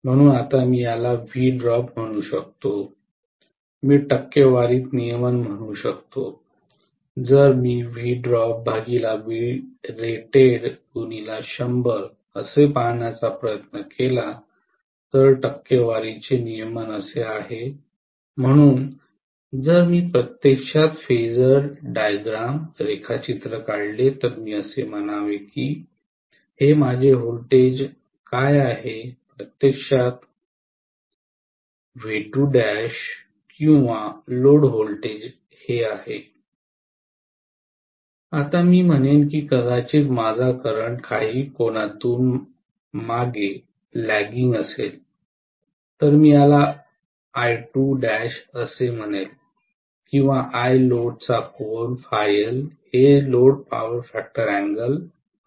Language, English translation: Marathi, So now if I may call this is V drop I can say regulation in percentage, if I try to look at will be V drop divided by rated voltage multiplied by 100, this is what is percentage regulation, so if I actually draw the phasor diagram I should say this is what is my voltage which is actually V2 dash or load voltage, now I would say maybe my current is lagging behind by some angle, let me call this as I2 dash or I load, maybe this is at an angle of phi L, this is the load power factor angle